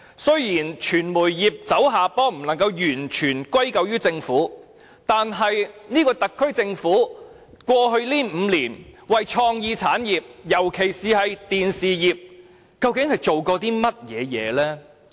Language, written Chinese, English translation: Cantonese, 儘管傳媒業走下坡不能完全歸咎於政府，但特區政府在過去5年，究竟為創意產業，尤其是電視業做了些甚麼？, The Government should of course not be made to take all the blame for the diminishing influence of the media industry but what exactly has the SAR Government done for the creative industries especially the television industry over the past five years?